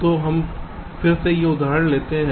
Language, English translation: Hindi, so we again take an examples like this